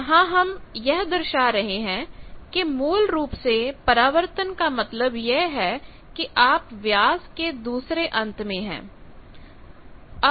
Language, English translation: Hindi, So, here we are showing that reflection means basically you are at the other end of the diameter